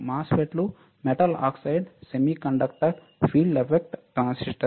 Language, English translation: Telugu, MOSFET's are Metal Oxide Semiconductor Field Effect Transistors